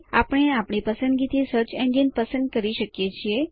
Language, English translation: Gujarati, We can choose the search engine of our choice